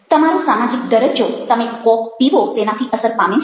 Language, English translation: Gujarati, coke, whether i mean your social status is affected by your drinking coke